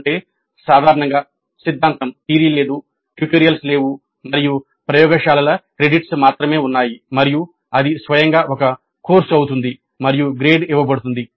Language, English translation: Telugu, That means typically no theory, no tutorials and only the laboratory credits are existing and that becomes a course by itself and is awarded a grade